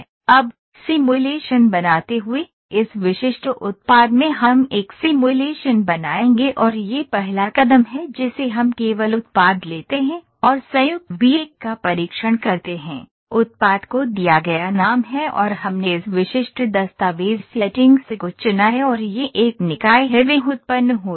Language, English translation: Hindi, Now, creating simulation, in this specific product we will create a simulation and this is the first step we just take the product and test joint V 1 is the name given to the product and we have selected this specific document settings and this is a body that is generated